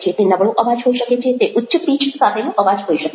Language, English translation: Gujarati, it can be with a weak voice, it can be with a high pitched voice